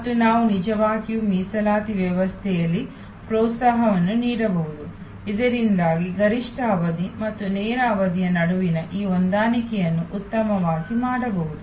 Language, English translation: Kannada, And we can also actually give incentives in the reservation system, so that this adjustment between the peak period and the lean period can be done better